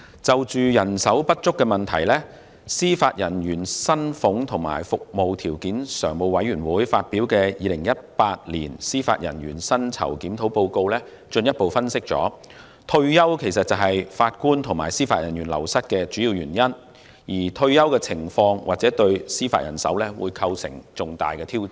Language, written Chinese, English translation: Cantonese, 就人手不足問題，司法人員薪俸及服務條件常務委員會發表的《二零一八年司法人員薪酬檢討報告》進一步分析，退休是法官及司法人員流失的主要原因，而退休情況或對司法人手構成重大挑戰。, On the issue of manpower shortage the Report on Judicial Remuneration Review 2018 published by the Standing Committee on Judicial Salaries and Conditions of Service further analysed that retirement is the main source of wastage among JJOs and the retirement situation may pose challenges to judicial manpower